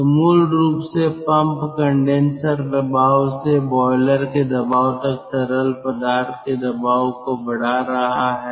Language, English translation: Hindi, so basically the pump is raising the pressure from the condenser ah, raising the condent pressure of the fluid from the condenser pressure to the boiler pressure